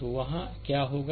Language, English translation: Hindi, So, what will be there